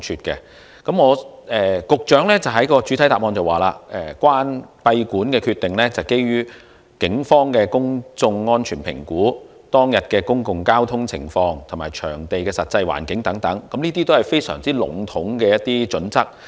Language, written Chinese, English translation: Cantonese, 局長在主體答覆中指出，閉館的決定是基於警方的公眾安全評估、節目當日的交通情況、場地的實際環境等，這些都是相當籠統的準則。, The Secretary pointed out in the main reply that decisions to close venues would be made based on the public safety assessment by the Police public transportation on the event date the actual environment of the venue concerned etc but these are rather general criteria